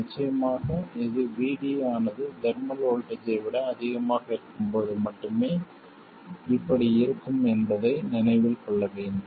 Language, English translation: Tamil, Of course, it must be remembered that this holds only when VD is much more than the thermal voltage